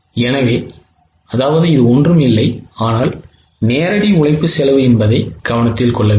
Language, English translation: Tamil, So, it is nothing but the direct labor cost